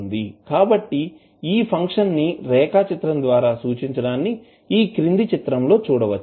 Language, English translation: Telugu, So, this function will be represented by this particular graph as you are seeing in the figure